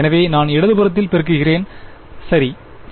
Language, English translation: Tamil, So, I am multiplying on the left hand side ok